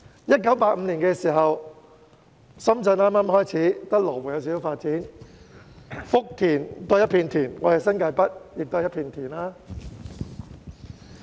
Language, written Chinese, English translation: Cantonese, 1985年深圳剛剛開始發展，只有羅湖略有發展，福田仍是一片田原，而我們的新界北也是一片田原。, In 1985 Shenzhen was in its early stage of development . Apart from slight developments in Lo Wu Futian was full of farmland same as our northern New Territories